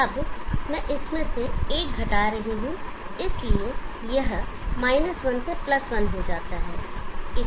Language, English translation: Hindi, I am now subtracting one from this, so it becomes 1 to +1